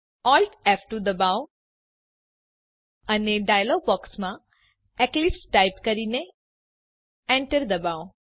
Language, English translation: Gujarati, Press Alt F2 and in the dialog box, type eclipse and hit Enter